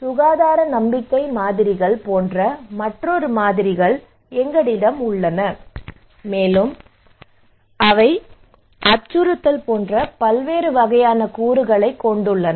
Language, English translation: Tamil, Also we have another models like health belief models, they have various kind of components like threat which has two components severity and susceptibility